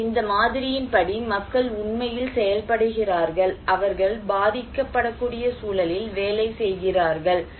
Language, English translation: Tamil, So, according to this model, people are actually operating, you know they are working in a context of vulnerability